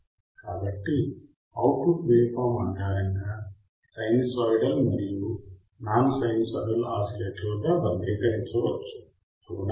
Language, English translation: Telugu, So, based on output waveform what does that mean that the classified a sinusoidal and non sinusoidal oscillators, right